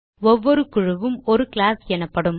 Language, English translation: Tamil, Each group is termed as a class